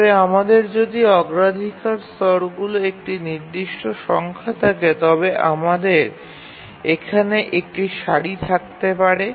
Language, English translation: Bengali, So, if we have a fixed number of priority levels, then we can have a queue here